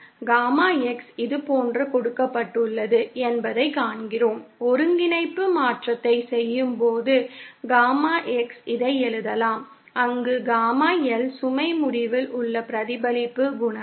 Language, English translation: Tamil, And we see that Gamma X is given like this, on doing the coordinate transformation, we can write Gamma X like this where Gamma L is the reflection coefficient at the load end